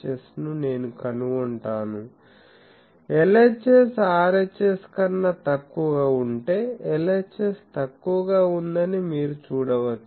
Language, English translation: Telugu, S of design equation; if LHS is less than RHS, you can see LHS is less